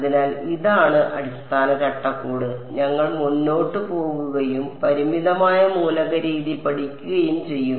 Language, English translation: Malayalam, And so, this is the basic framework with which we will sort of go ahead and study the finite element method little more ok